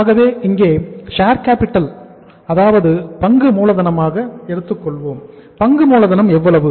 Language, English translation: Tamil, So we will take here as share capital, share capital uh this amount is how much